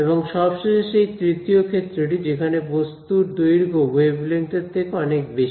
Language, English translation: Bengali, And finally the third regime is where the object size is much larger than the wavelength